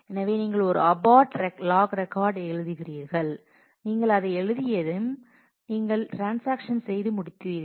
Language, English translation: Tamil, So, you write a abort log record and once you have written that, then you are done with the transaction